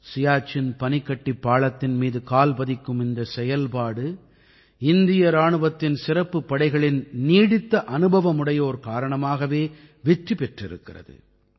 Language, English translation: Tamil, This operation to conquer the Siachen Glacier has been successful because of the veterans of the special forces of the Indian Army